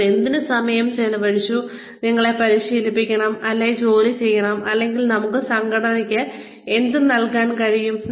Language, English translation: Malayalam, Why should they spend any time, training us, or employing us, or what can we give to the organization